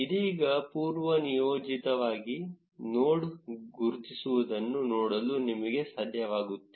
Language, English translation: Kannada, Right now by default, we are not even able to see the node labels